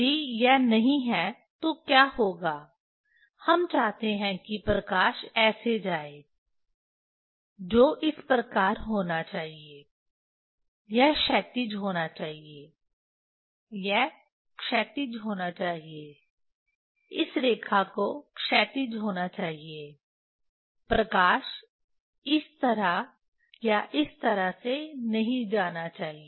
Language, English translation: Hindi, If it is not, then what will happen we want light will go that should be this, this should be horizontal, this should be horizontal this line has to be horizontal, it is not like light should go this way or this way